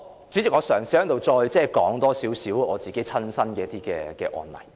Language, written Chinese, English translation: Cantonese, 主席，我嘗試在此多說少許我的親身接觸的案例。, President I will briefly illustrate a case I handled personally